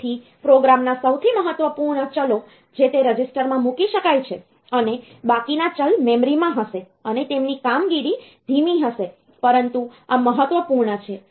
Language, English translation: Gujarati, So, only the most important variables in the program they can be put into those registers, and the remaining ones will be in the memory, and their operation will be slow, but this essential the critical one